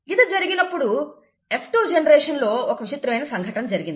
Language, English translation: Telugu, So when that happened, in the F2 generation, something strange happened